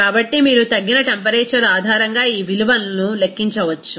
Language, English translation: Telugu, So, you can calculate this value based on that reduced temperature